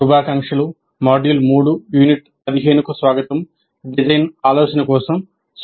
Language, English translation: Telugu, Greetings, welcome to module 3, Unit 15 Instruction for Design Thinking